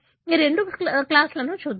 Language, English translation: Telugu, Let us look into these two classes